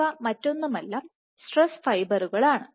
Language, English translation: Malayalam, So, these are nothing but stress fibers